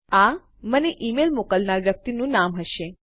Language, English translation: Gujarati, This will be the name of the person sending me the email